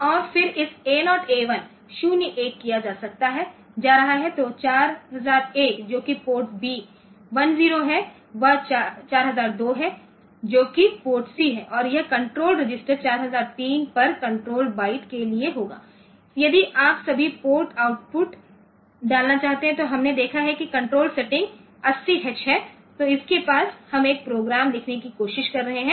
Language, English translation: Hindi, So, 4001 that is port B 1 0 is that is 4002 is the port C and this control register will be at 4003 the control byte for if you want to put all port output then we have seen that the control setting is 80H